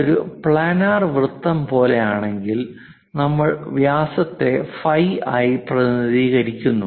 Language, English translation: Malayalam, If it is something like a circle planar thing, we represent by diameter phi